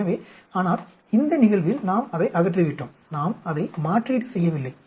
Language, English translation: Tamil, So, whereas in this case we have removed it, and we are not replacing it